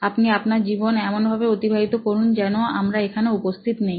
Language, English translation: Bengali, Just get on with life as if we are not there